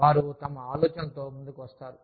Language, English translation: Telugu, They come up with their idea